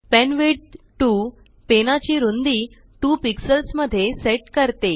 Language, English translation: Marathi, penwidth 2 sets the width of pen to 2 pixels